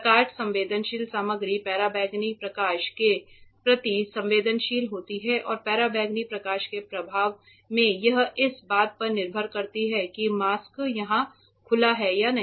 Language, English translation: Hindi, The photosensitive material is sensitive to ultraviolet light and under the influence of ultraviolet light it changes its properties depending on where the mask is exposed or not exposed correct